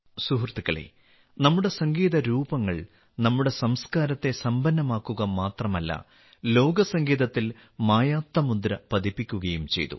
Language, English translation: Malayalam, Friends, Our forms of music have not only enriched our culture, but have also left an indelible mark on the music of the world